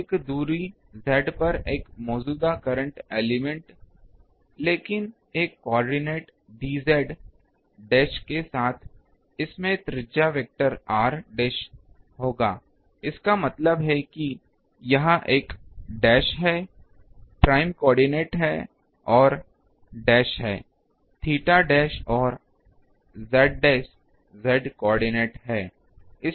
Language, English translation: Hindi, Similarly a current element at a distance z, but with a coordinate d z as it will have a radius vector r dash; that means, it is a dash or flange coordinates are r dash angle is theta dash and the z coordinate is z dash